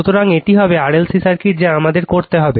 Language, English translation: Bengali, So, this will be RLC circuit what we have to do it